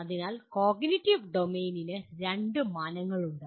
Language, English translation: Malayalam, So the cognitive domain has two dimensions